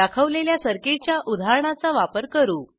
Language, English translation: Marathi, We will use the example circuit shown